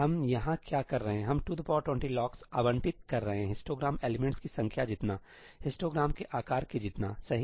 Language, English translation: Hindi, What are we doing here we are allocating 2 to the power 20 locks, as many as the number of histogram elements, as the size of the histogram, right